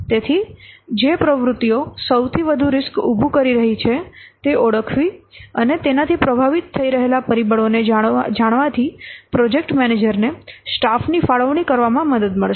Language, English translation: Gujarati, So, identifying the activities which are posing the greatest risks and knowing the factors which are influencing them will help the project manager to allocate the staff